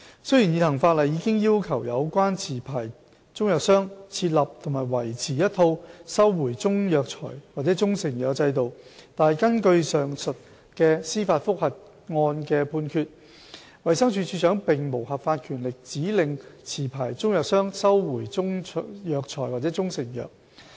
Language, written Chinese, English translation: Cantonese, 雖然現行法例已要求有關持牌中藥商設立和維持一套收回中藥材或中成藥的制度，但根據上述司法覆核案的判決，衞生署署長並無合法權力指令持牌中藥商收回中藥材或中成藥。, Despite the fact that relevant licensed traders of Chinese medicines have already been required by law to set up and maintain a system of recall of Chinese herbal medicines or proprietary Chinese medicines the judgment of the above judicial review ruled that the Director does not have the lawful power to instruct licensed traders of Chinese medicines to recall Chinese herbal medicines or proprietary Chinese medicines